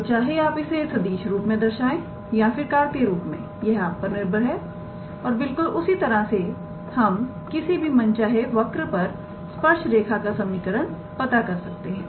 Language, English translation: Hindi, So, either you can express it in terms of the vector form or in terms of the Cartesian form that is up to you and yeah similarly we can find equation of the tangent line for any arbitrary curve